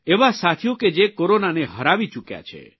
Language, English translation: Gujarati, These are people who have defeated corona